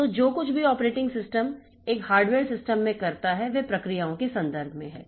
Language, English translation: Hindi, So, whatever the operating system does in a hardware system, so that is in terms of processes